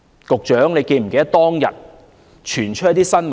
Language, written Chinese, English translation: Cantonese, 局長是否記得當日曾傳出一些新聞？, Does the Secretary remember that some news came to light on that day?